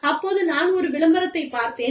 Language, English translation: Tamil, And then, I saw the advertisement